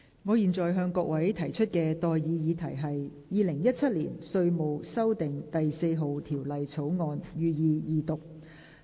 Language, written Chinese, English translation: Cantonese, 我現在向各位提出的待議議題是：《2017年稅務條例草案》，予以二讀。, I now propose the question to you and that is That the Inland Revenue Amendment No . 4 Bill 2017 be read the Second time